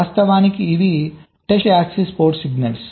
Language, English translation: Telugu, so actually these will be the test access port signals